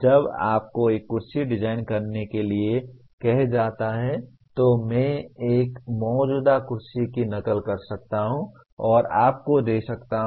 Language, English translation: Hindi, When you are asked to design a chair, I may exactly copy an existing chair and give you that